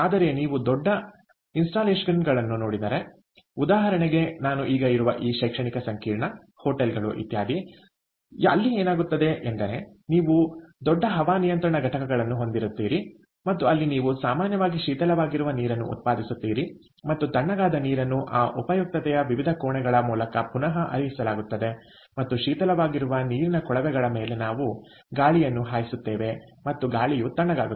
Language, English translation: Kannada, but if you look at larger installations, for example this academic complex that i am in right now, hotels, ah, etcetera so there what happens is you have a large air conditioning plant and where you actually produce chilled water, and then the chilled water is recirculated through the different rooms, ah, of that, of that utility, and and that over the chilled water pipes is where we blow the air and the air cools down